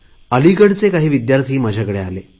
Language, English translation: Marathi, Student from Aligarh had come to meet me